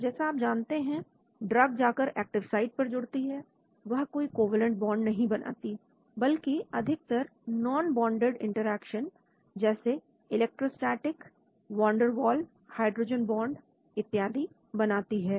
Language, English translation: Hindi, As you know, the drug goes and binds to an active site, it does not form a covalent bond but mostly non bonded interactions like electrostatic, Van der Waals, hydrogen bond and so on